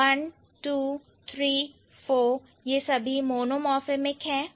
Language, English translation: Hindi, So, one, two, three, four, these are all monomorphic ones